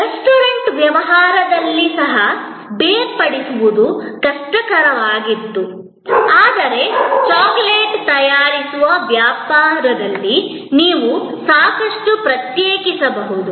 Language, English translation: Kannada, Even in a restaurant business, it was difficult to segregate, but in a business manufacturing chocolate, you could quite separate